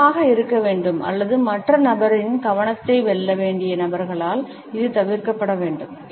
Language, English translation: Tamil, It should be avoided by those people who have to be persuasive or win the attention of the other person